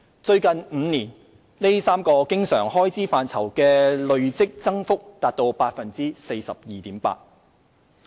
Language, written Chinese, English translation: Cantonese, 最近5年，這3個經常開支範疇的累積增幅達 42.8%。, In the past five years the cumulative increase in recurrent expenditure on these three areas amounted to 42.8 %